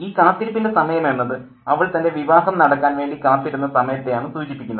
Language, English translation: Malayalam, Okay, so during this time of waiting and this time of waiting refers to the time she waited for her marriage to happen